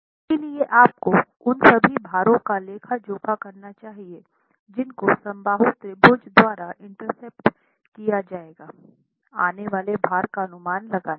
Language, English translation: Hindi, So, you should be able to account for all the loads that would be intercepted by the equilateral triangle in estimating the, in estimating the load coming onto the lintel